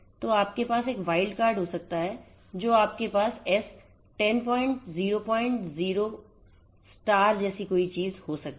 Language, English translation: Hindi, So, you can have a wild card and you could have something like S 10